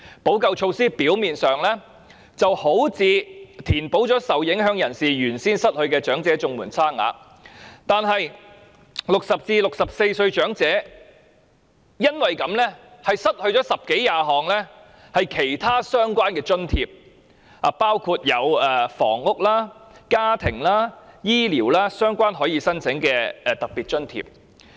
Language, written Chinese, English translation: Cantonese, 補救措施表面上好像填補了受影響人士失去的長者綜援差額，但是 ，60 歲至64歲的長者因此失去了十多二十項其他相關的津貼，包括房屋、家庭及醫療等可供申請的特別津貼。, This remedial measure seems to have made up for the difference for those who became ineligible for elderly CSSA . However as a result elderly people aged 60 to 64 have lost 10 to 20 other allowances including special grants for housing family and health care otherwise available for their application